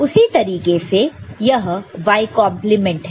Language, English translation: Hindi, Similarly, this is y complement